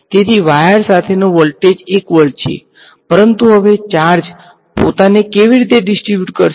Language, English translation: Gujarati, So, the voltage along the wire is 1 volt, but now how will the charges distribute themselves